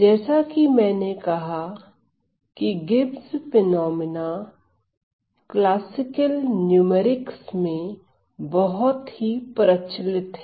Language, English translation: Hindi, So, as I said Gibbs phenomena is quite common in classical numerics so, this is a classical numerical instability